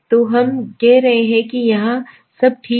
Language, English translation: Hindi, So we are saying it is falling somewhere here okay